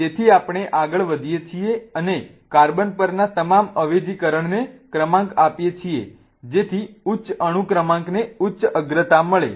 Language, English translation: Gujarati, So, we go ahead and rank all the substitutes on the carbon such that the higher atomic number gets the higher priority and so on